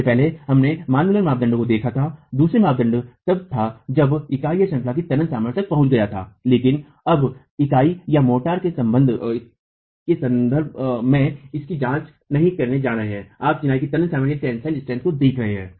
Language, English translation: Hindi, Earlier we had looked at in the manual criteria, the second criterion was when the tensile strength of the unit was reached but now we are not going to be examining it in terms of the unit or the motor, you are going to be looking at tensile strength of masonry